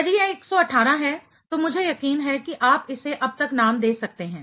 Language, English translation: Hindi, If it is 118, I am sure you can name it by now